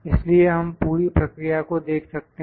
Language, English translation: Hindi, So, this is the process we can see the whole process